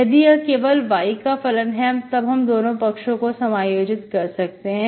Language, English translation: Hindi, If, if this function is only function of y, then I can integrate both sides, okay